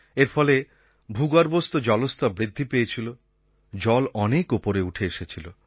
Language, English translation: Bengali, Due to this there has been an increase in the ground water level